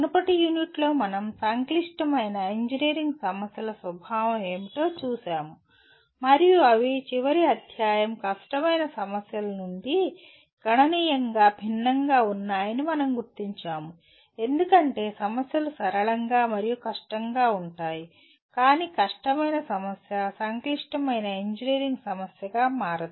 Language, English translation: Telugu, And in the earlier unit we looked at what is the nature of complex engineering problems and we noted that they are significantly different from the end chapter difficult problems because problems can be simple and difficult but a difficult problem does not become a complex engineering problem